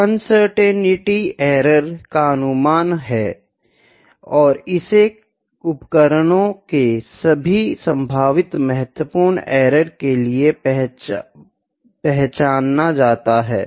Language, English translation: Hindi, So, uncertainty is the estimate of the error and it is to be identified for all the potential significant errors for the instruments